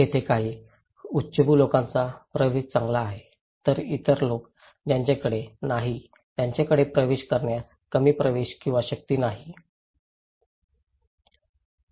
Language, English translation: Marathi, There some elite people have better access, the other people those who don’t have they have little access or little power to accessize